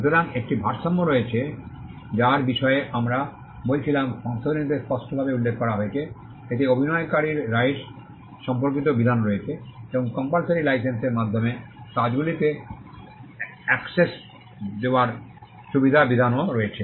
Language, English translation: Bengali, So, there is a balance that we were talking about that is expressly mentioned in the amendment, it also has provisions on performer’s rights and a provision to facilitate access to works by means of compulsory licences